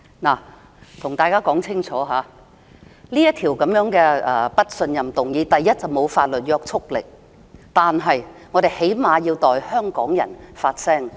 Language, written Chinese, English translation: Cantonese, 我要向大家說清楚，這項不信任議案沒有法律約束力，但我們最低限度要代香港人發聲。, I must make it clear to everyone that although this motion of no confidence has no legislative effect we have to at the very least voice the views of Hong Kong people